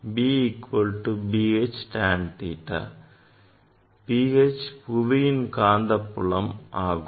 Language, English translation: Tamil, B H is the earth magnetic field